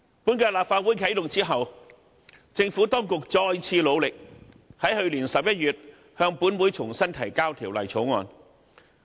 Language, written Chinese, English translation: Cantonese, 本屆立法會啟動後，政府當局再次努力，在去年11月向本會重新提交《條例草案》。, After the commencement of the current - term Legislative Council the Administration made another attempt and reintroduced the Bill into this Council in November last year